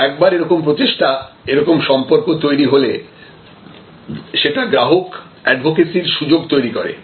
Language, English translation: Bengali, But, once you have such an effort, such a relationship then the opportunity for creating advocacy is much higher